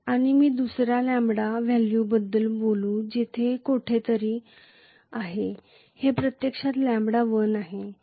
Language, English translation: Marathi, And let me talk about another lambda value which is actually somewhere here which is actually lambda 1